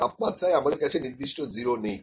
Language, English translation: Bengali, We did not have the definite 0 for the temperature